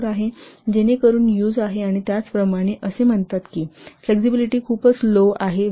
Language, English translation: Marathi, 24 so that you have used and similarly it said that flexibility is very low that value is 5